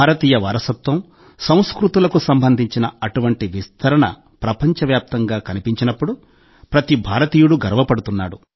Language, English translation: Telugu, Every Indian feels proud when such a spread of Indian heritage and culture is seen all over the world